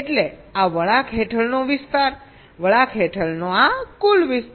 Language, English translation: Gujarati, integral means the area under this curve, so this total area under the curve